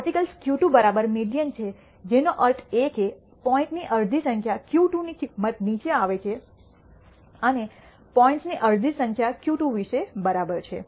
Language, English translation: Gujarati, Q 2 is exactly the median which means half the number of points fall below the value of Q 2 and half the number of points are exactly about Q 2